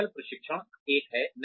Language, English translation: Hindi, Skills training is one